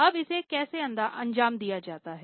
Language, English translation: Hindi, Now, how is this executed